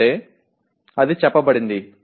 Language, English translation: Telugu, That means that is stated